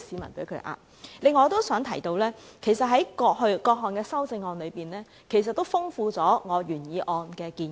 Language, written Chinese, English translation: Cantonese, 此外，我都想提出，各項修正案其實豐富了我原議案的建議。, Moreover I would like to point out that the various amendments have actually enriched the proposals in my original motion